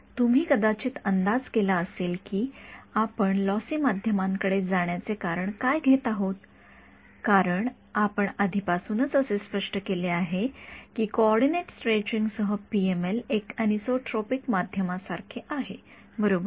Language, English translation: Marathi, You might have guessed why we are taking recoats to a lossy media because we have already given the interpretation that PML with coordinate stretching is like a lossy an isotropic media right